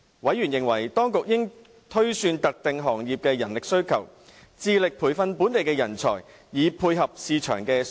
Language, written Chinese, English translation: Cantonese, 委員認為，當局應推算特定行業的人力需求，致力培訓本地人才，以配合市場需求。, Members were of the view that the authorities should project the manpower demands in specific industries and endeavour to train up local talents to dovetail with market needs